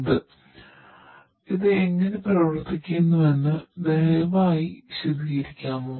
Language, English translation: Malayalam, Patel could you please explain how it works